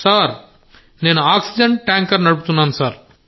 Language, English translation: Telugu, Sir, I drive an oxygen tanker…for liquid oxygen